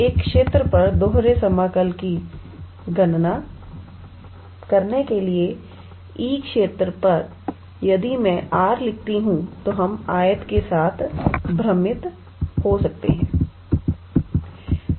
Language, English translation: Hindi, So, calculation of double integral over a region let us say E over a region E, if I write R, then we might confuse with rectangle